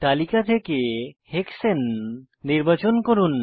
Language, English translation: Bengali, Select the file named Hexane from the list